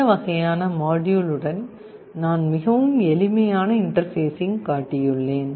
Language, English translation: Tamil, I have shown a very simple interface with this kind of module